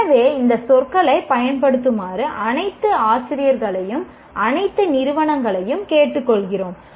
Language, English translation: Tamil, So, we urge all faculty in all institutions to use these words